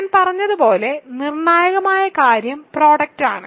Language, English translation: Malayalam, The crucial thing as I said is the product